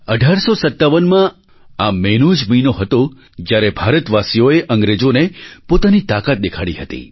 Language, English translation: Gujarati, This was the very month, the month of May 1857, when Indians had displayed their strength against the British